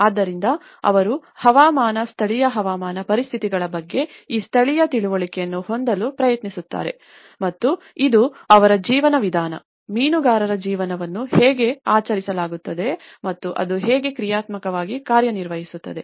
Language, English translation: Kannada, So, they try to have this indigenous understanding of climatic, the local climatic conditions and it will also serving their way of life, how the fisherman's life is also celebrated and how functionally it works